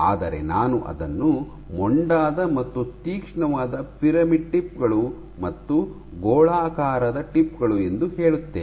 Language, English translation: Kannada, So, or rather, so I will put it as blunt and sharp pyramidal tips as well as spherical tips